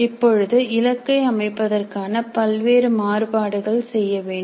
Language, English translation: Tamil, Now many more variants of setting the targets can be worked out